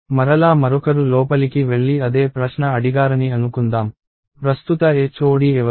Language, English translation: Telugu, So, again let us say somebody else walks in and ask the same question, who is the current HOD